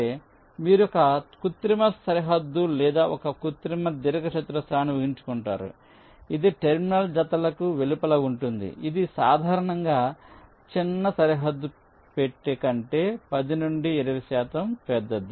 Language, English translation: Telugu, you imagine an artificial boundary or an artificial rectangle thats outside the terminal pairs, which is typically ten to twenty percent larger than the smallest bounding box